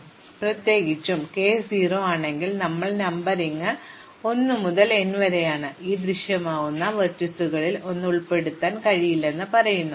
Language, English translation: Malayalam, So, in particular if k is 0, because our numbering is 1 to n, it says that the vertices that can appear cannot be include 1